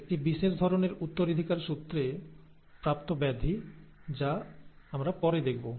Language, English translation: Bengali, That is an inherited disorder; a special type of inherited disorder as we will see later